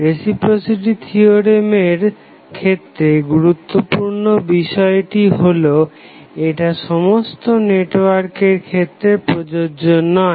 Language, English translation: Bengali, So, important factor to keep in mind is that the reciprocity theorem is applicable only to a single source network